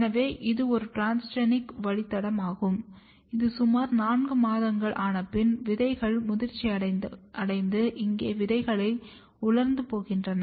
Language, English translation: Tamil, So, here you can see this is a transgenic line which is about 4 months old and then the seeds mature and here the seeds dry